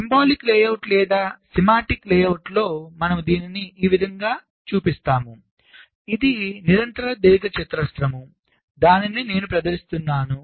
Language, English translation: Telugu, ok, so in our symbolic layout or schematic layout we show it like this: a continuous rectangle